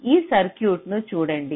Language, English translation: Telugu, you look at this circuit